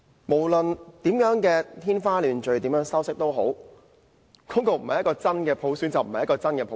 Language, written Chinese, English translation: Cantonese, 無論說得怎樣天花亂墜，怎樣修飾，那個方案不是真普選，就不是真普選。, No matter how nicely it was packaged the then constitutional reform package was not genuine universal suffrage